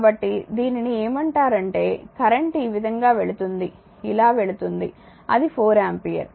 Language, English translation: Telugu, So, this is that your what you call current going like this going like this going like this is 4 ampere